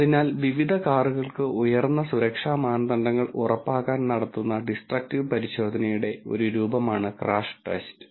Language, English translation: Malayalam, So, a crash test is a form of destructive testing that is performed in order to ensure high safety standard for various cars